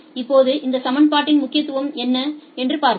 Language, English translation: Tamil, Now, let us see what is the significance of this equation